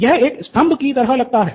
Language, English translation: Hindi, This looks like a pillar